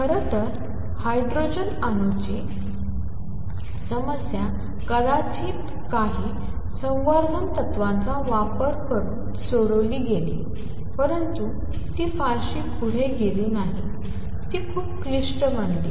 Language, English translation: Marathi, In fact, the hydrogen atom problem was solved by probably using some conservation principles, but it did not go very far it became very complicated